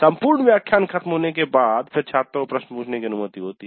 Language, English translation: Hindi, So the entire lecture is completed and then the students are allowed to ask the questions